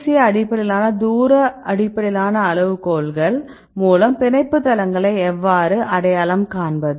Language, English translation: Tamil, And ASA based criteria distance based criteria how to identify the binding sites